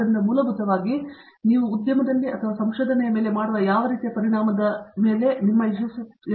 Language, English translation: Kannada, So, basically it all depends on what kind of an impact that you are making either on the industry or on the research